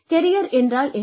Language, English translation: Tamil, What is a career